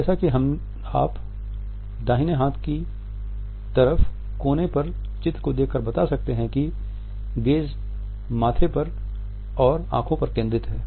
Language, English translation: Hindi, As you can make out by looking at the picture on the right hand side corner that the gaze is focused on the forehead and eyes